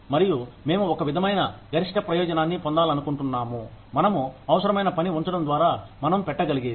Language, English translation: Telugu, And, we want to, sort of, want to get the maximum benefit, that we can, by putting in the required amount of work, that we can put in